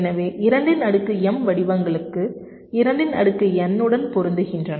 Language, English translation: Tamil, so there are two to the power m patterns which are matching into two to the power n